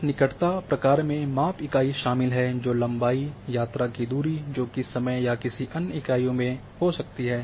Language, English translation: Hindi, That proximity involves the measurement unit can be distance in length, travel distance in time or other units